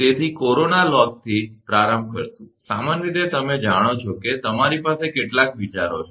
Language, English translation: Gujarati, So, will start from corona loss, generally you know you have some ideas right